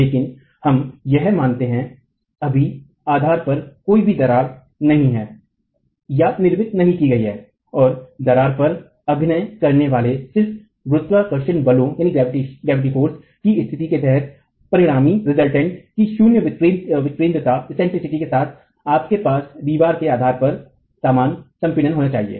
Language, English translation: Hindi, But let's assume that the crack is not formed now at the base and under a condition of just gravity forces acting on the wall you should have uniform compression at the base of the wall itself with zero eccentricity of the resultant